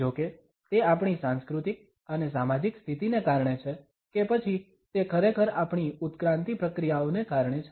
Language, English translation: Gujarati, However, whether it is owing to our cultural and social conditioning or it is because of our indeed evolutionary processes